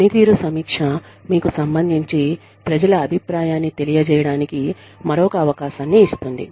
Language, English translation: Telugu, Performance review, gives you another chance, to give the people's feedback, regarding this